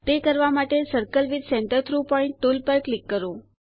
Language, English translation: Gujarati, To do this click on the Circle with Centre through Point tool